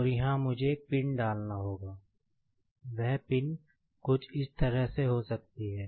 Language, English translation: Hindi, And, here, I will have to insert one pin, that pin could be something like this